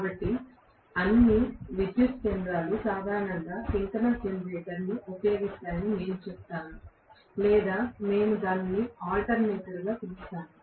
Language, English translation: Telugu, So, I would say all the power stations generally used synchronous generator or we may call that as alternator, we may also call that as alternator